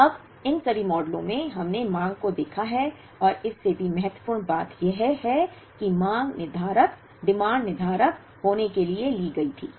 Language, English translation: Hindi, Now, in all these models that we have seen the demand and more importantly is the demand was taken to be deterministic